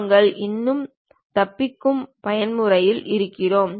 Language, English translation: Tamil, We are still in escape mode